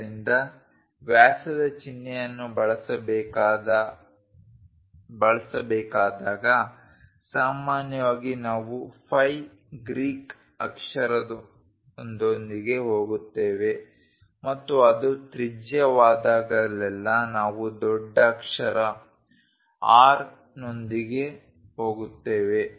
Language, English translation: Kannada, So, whenever diameter symbol has to be used usually we go with ‘phi’ Greek letter and whenever it is radius we go with capital ‘R’